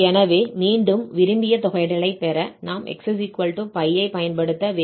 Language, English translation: Tamil, So, again, to get this desired integral, we have to use x=p